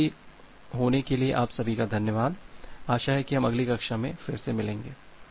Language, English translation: Hindi, So thank you all for attending, hope we will meet in the next class